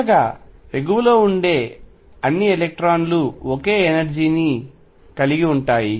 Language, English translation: Telugu, Finally until all the uppermost electrons have the same energy